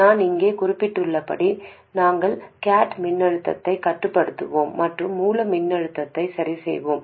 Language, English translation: Tamil, And as mentioned here, we will control the gate voltage and keep the source voltage fixed